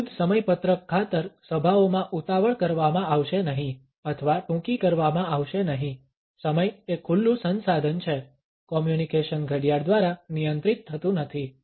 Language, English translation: Gujarati, Meetings will not be rushed or cut short for the sake of an arbitrary schedule, time is an open ended resource communication is not regulated by a clock